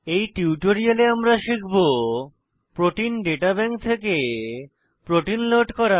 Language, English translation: Bengali, In this tutorial, we will learn to * Load structures of proteins from Protein Data Bank